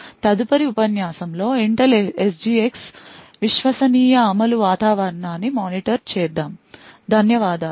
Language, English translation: Telugu, In the next lecture will look at the Intel SGX trusted execution environment, thank you